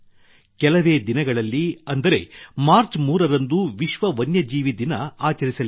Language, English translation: Kannada, A few days later, on the 3rd of March, it is 'World Wildlife Day'